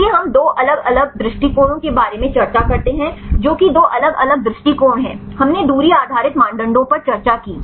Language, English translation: Hindi, So, we discuss about 2 different approaches right what are 2 different approaches we discussed distance based criteria